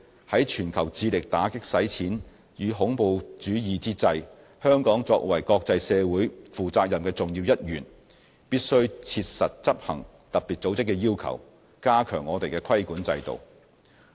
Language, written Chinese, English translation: Cantonese, 在全球致力打擊洗錢與恐怖主義之際，香港作為國際社會負責任的重要一員，必須切實執行特別組織的要求，加強我們的規管制度。, At a time when the world is making efforts to combat money laundering and terrorism Hong Kong being a responsible and crucial member of the international community must strictly execute the demands of FATF to strengthen our regulatory regime